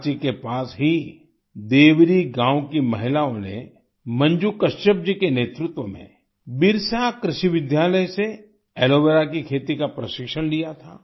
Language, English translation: Hindi, The women of Deori village near Ranchi had undergone training in Aloe Vera cultivation from Birsa Agricultural School under the leadership of Manju Kachhap ji